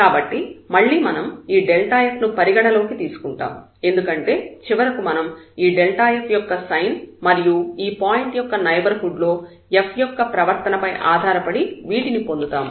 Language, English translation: Telugu, So, we consider again this delta f because, finally we need to get based on these sign of this delta f, the behavior of this f in the neighborhood of a point